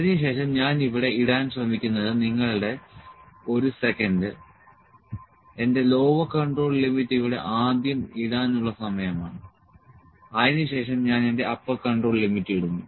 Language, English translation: Malayalam, Then I am trying to put; I am trying to put here your just a second time to put a my lower control limit here first then I will put my upper control limit